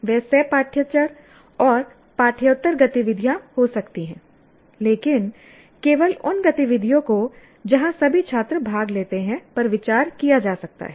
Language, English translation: Hindi, They could be co curricular and extracurricular activities, but only those activities where all students participate can be considered